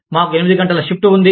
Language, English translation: Telugu, We have eight hours shift